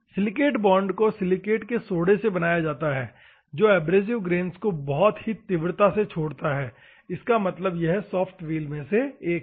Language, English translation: Hindi, Bond silicate normally it is made up of silicate of soda which releases the abrasive grains more rapidly, ok; that means that this is one of the soft wheels